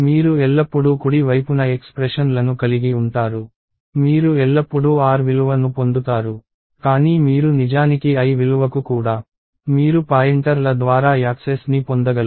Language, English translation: Telugu, You always have expressions on the right side, you get the r value always, but pointers are mechanism by which you actually can get access to the l value also